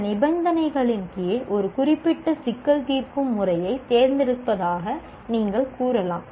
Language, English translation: Tamil, And you may say you are selecting a particular problem solving method under some conditions